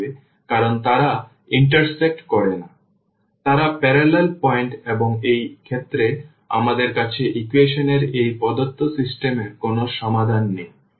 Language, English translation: Bengali, So, they are the parallel lines and in this case we do not have a solution of this given system of equations